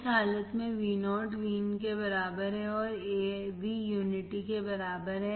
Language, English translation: Hindi, Under this condition Vo equals to Vin or Av equals to unity